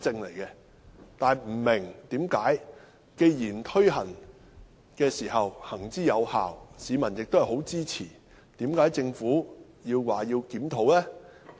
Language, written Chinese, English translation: Cantonese, 但是，我不明白，既然這措施行之有效，而市民亦很支持，為甚麼政府要檢討？, Yet I do not have a clue . Since this is a proven measure supported by the public why does the Government need to review it?